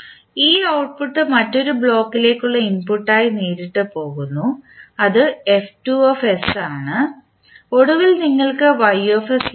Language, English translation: Malayalam, So this output goes directly as an input to the another block that is F2s and then finally you get the Ys